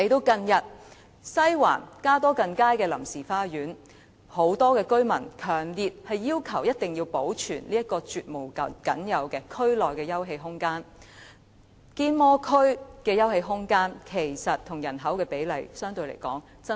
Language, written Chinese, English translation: Cantonese, 近日，針對西環加多近街的臨時花園，很多居民也強烈要求保存這個區內絕無僅有的休憩空間，因堅摩區的休憩空間與其人口比例相比，是十分低的。, Recently there is this case involving a temporary garden in Cadogan Street . Many residents have expressed an earnest call for the preservation of the garden which is the only open space in the district for the ratio of open space to population in Kennedy Town and Mount Davis district is very low